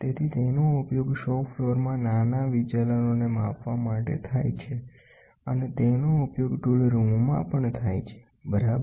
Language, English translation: Gujarati, So, it is used in shop floor for measuring the small deviations and it is also used in tool room, ok